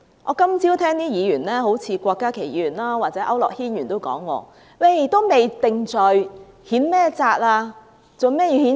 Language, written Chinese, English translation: Cantonese, 我今早聽到有些議員，好像郭家麒議員或區諾軒議員都說，還未定罪，如何譴責？, This morning I heard some Members like Dr KWOK Ka - ki or Mr AU Nok - hin ask why we could censure a Member before he was convicted and why we have to censure Dr CHENG Chung - tai